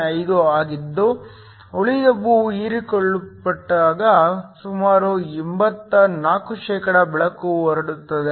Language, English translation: Kannada, 05 so nearly 84 % of the light is transmitted while the rest is absorbed